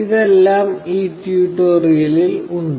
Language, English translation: Malayalam, Now, this is all for this tutorial